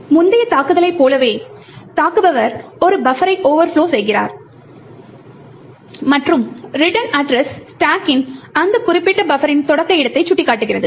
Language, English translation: Tamil, So just like the previous attack where the attacker overflowed a buffer and made the return address point to the starting location of that particular buffer on the stack